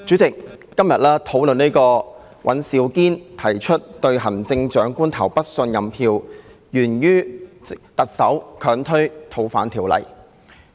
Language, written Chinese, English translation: Cantonese, 主席，今天討論尹兆堅議員提出"對行政長官投不信任票"議案，源於特首強推《逃犯條例》。, President we are here to discuss this motion on Vote of no confidence in the Chief Executive proposed by Mr Andrew WAN today because the Chief Executive has insisted on forcing through the fugitives law